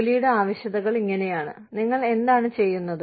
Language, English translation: Malayalam, The requirements of the job are such, what you do